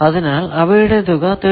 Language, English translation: Malayalam, So, their sum is 13